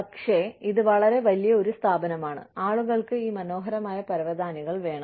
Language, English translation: Malayalam, So, but then, it such a large organization, people want these beautiful carpets